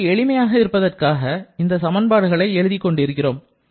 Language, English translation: Tamil, We are just writing the equations as for our convenience